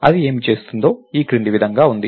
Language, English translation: Telugu, What it does is as follows